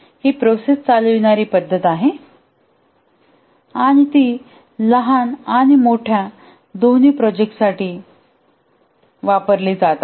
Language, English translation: Marathi, It's a process diven approach and has been used for both small and large projects